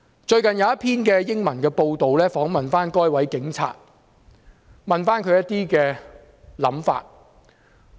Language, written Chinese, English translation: Cantonese, 最近有一份英文報章訪問該名警員，詢問他的看法。, He was interviewed recently by an English press for his opinion